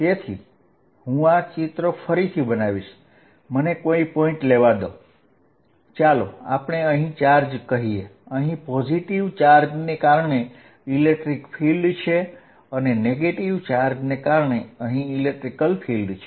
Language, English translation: Gujarati, So, let me make this picture again, let me take any point, let us say point out here, here is electric field due to positive charge and here is electric field due to negative charge